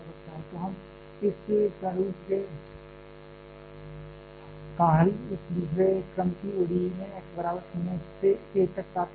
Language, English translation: Hindi, So, we get solution of this from x equal to 0 to a, of this second order ODE